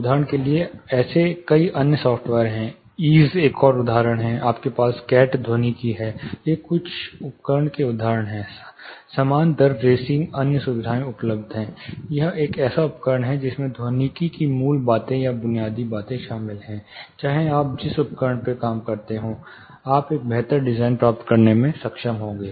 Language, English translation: Hindi, There are many other software’s for example, EASE is another example you have Catt acoustics, there are lot of you know (Refer Time: 23:15) these are few examples of tools; similar you know rate racing another facilities are available, this is one such tool more or less the you know if you know the basics or fundamentals of acoustics, irrespective of the tool you work you will be able to get a better design